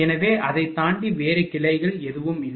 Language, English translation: Tamil, So, beyond that there is no other branches nothing is there